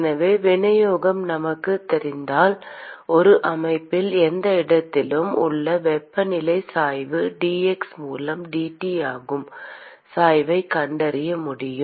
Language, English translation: Tamil, So if we know the distribution, obviously we will be able to find out the gradient that is the dT by dx the temperature gradient at any location in a system